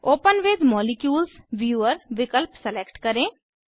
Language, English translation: Hindi, Select the option Open With Molecules viewer